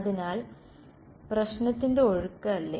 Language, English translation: Malayalam, So, sort of the flow of problem right